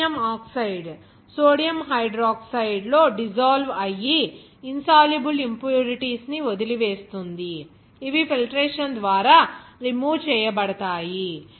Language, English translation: Telugu, The Aluminum oxide dissolves in sodium hydroxide leaving behind the insoluble impurities, which are removed by filtration